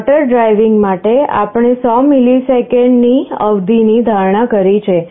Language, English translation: Gujarati, For the motor driving, we have assumed a period of 100 milliseconds